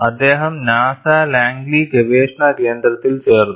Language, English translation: Malayalam, Then, he carried on; he joined NASA Langley research center